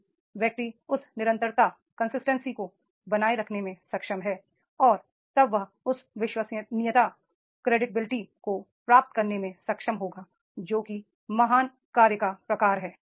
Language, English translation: Hindi, If the person is able to maintain that consistency and then he will be able to get that credibility that is the what type of the great work is there